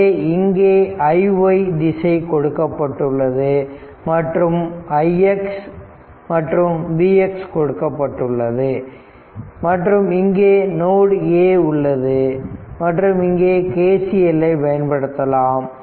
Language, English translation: Tamil, So, all all this i y direction is given i x is given V x is given and this is node a here we will apply KCL also right